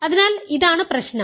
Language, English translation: Malayalam, So, this is exactly the problem